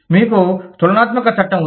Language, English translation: Telugu, You have comparative law